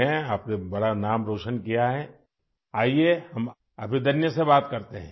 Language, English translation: Urdu, You have made a big name, let us talk to Abhidanya